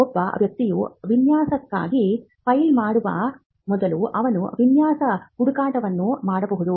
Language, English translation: Kannada, Before a person files for a design, the person can do a design search